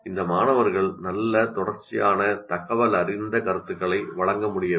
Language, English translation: Tamil, The students themselves should be able to give themselves a good continuous informative feedback